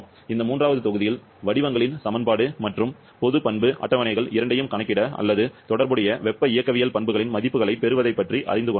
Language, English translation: Tamil, And in this third module, we have learned about the use of both equation of states and the general property tables to calculate or to get the values of relevant thermodynamic properties